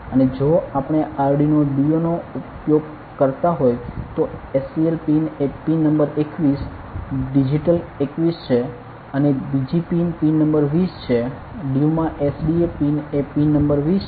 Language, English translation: Gujarati, And in case since we have to use the Arduino due ok the SCL pin is pin number 21 digital 21 and the other pin is pin number 20 SDA pin is due is pin number 20 ok